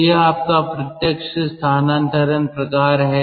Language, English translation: Hindi, so this is your direct transfer type